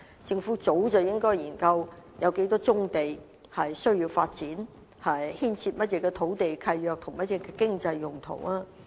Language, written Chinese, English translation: Cantonese, 政府早應該研究有多少棕地需要發展，以及當中牽涉到甚麼土地契約和經濟用途。, The Government should have studied how many brownfields should be developed and what kinds of land leases and economic uses are involved a long time ago